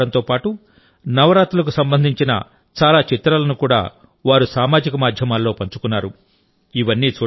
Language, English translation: Telugu, They also shared a lot of pictures of Gujarati food and Navratri on social media